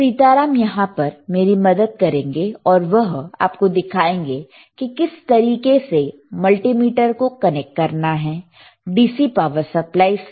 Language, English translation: Hindi, Sitaram is here to accompany me and he will be showing you how to connect this multimeter to the DC power supply so, let us see